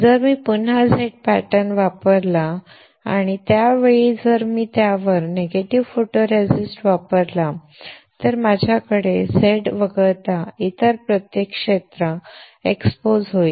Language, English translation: Marathi, If I use Z pattern again and this time if I use negative photoresist on it, then I would have every other area except Z exposed